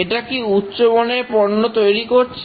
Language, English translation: Bengali, Is it producing good products